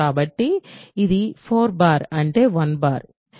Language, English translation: Telugu, So, it is 4 bar which is 1 bar